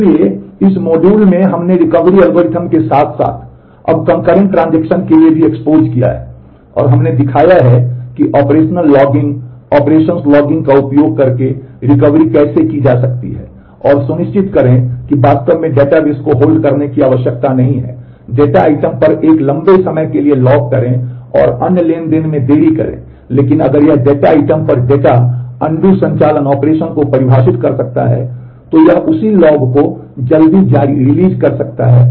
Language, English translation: Hindi, So, in this module we have expose ourselves with the Recovery Algorithms now for concurrent transactions as well and we have shown that how recovery can be done using operational logging, operations logging and making sure that really the database may not need to hold on to a lock for a long time on the data item and delay other transactions, but if it can define the undo operation on the on the data on the data item, then it can release that log early and use that logging mechanism operation logging mechanism to recover the data